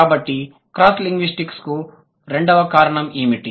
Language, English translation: Telugu, So, second reason of cross linguistic similarity is what